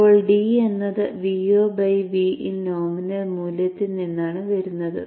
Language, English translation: Malayalam, Now D is coming from V0 by V in nominal value